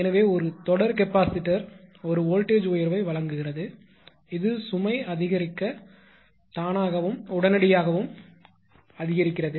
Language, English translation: Tamil, Then therefore, a series capacitor provides for a voltage rise which increases automatically and intention intention instantaneously as the load grows right